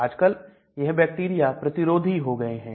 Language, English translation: Hindi, So nowadays these bacteria become resistant